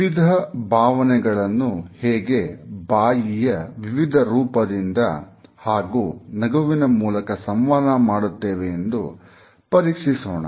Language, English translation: Kannada, We would check how different type of emotions are communicated with the help of our mouth, different shapes of it, as well as smiles